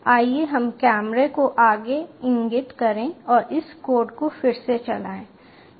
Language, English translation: Hindi, also, lets point the camera forward and run this code again